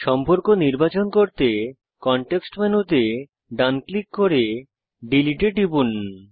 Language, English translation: Bengali, Right click to view the context menu and click Delete